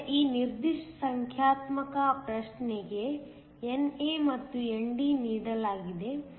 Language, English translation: Kannada, So, for this particular numerical problem NA and ND are given